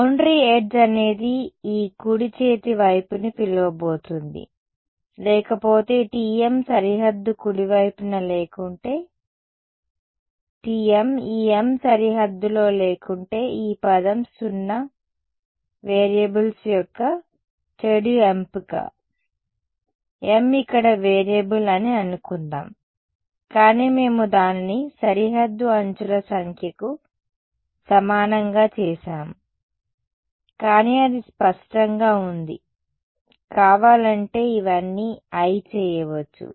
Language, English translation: Telugu, A boundary edge is what is going to invoke this right hand side that is otherwise T m is 0 on the boundary right; if T if m is not on the boundary if this m is not on the boundary this term is 0 bad choice of variables m here is suppose to be variable, but we made it equal to number of boundary edges, but hopefully its clear you can make this all into i if you want